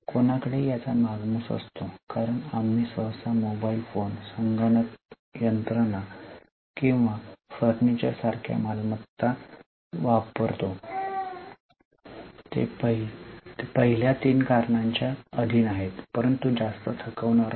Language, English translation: Marathi, Because most of the assets which we normally use like say mobile phones, computers, machinery or furniture, they are subject to first three reasons but not much to exhaustion